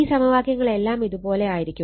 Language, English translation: Malayalam, So, your equation will be like this right